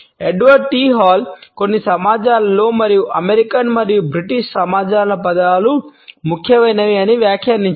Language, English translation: Telugu, Edward T Hall has commented that in certain societies and he has given the example of the American and British societies words are important